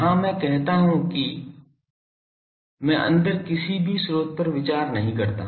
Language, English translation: Hindi, Here I say that inside I do not consider any sources